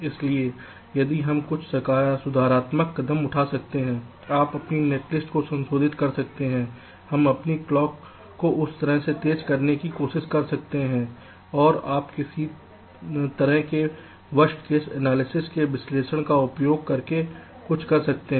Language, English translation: Hindi, you can modify your netlist, we can try to make our clocks faster in that way, and you can do something using some kind of worst case analysis